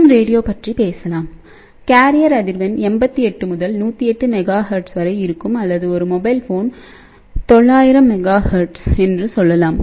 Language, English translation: Tamil, Let us say FM radio; the carrier frequency is between 88 to 108 megahertz or we can say that a mobile phone 900 megahertz